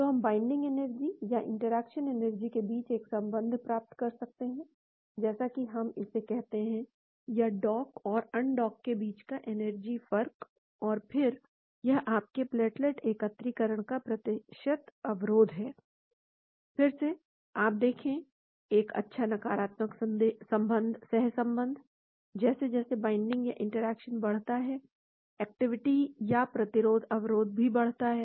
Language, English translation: Hindi, So, we can get a relationship between the binding energy or interaction energy as we call it or energy difference being docked and undocked and then this is your percentage inhibition of platelet aggregation, again, you see a nice negative correlation; as the binding or interaction increases, the activity or percentage inhibition also increases